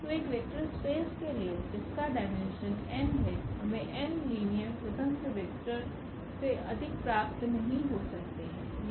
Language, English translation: Hindi, So, for a vector space whose dimension is n we cannot get more than n linearly independent vectors